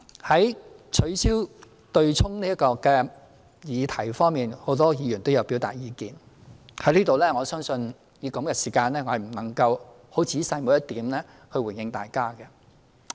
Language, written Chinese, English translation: Cantonese, 就取消強積金對沖安排這個議題，很多議員也有表達意見，我相信在此我不能以如此有限的時間仔細逐點回應大家。, Since a lot of Members have expressed their views on the abolition of the offsetting arrangement under the MPF System I do not think I can respond to individual views in detail in such a limited space of time